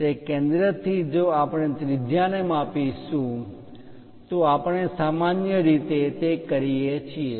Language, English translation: Gujarati, From that center if we are measuring the radius we usually go with that